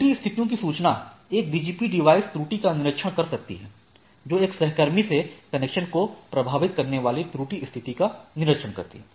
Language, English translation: Hindi, So, notification of error conditions, a BGP device can observe error can observe error condition impacting the connection to a peer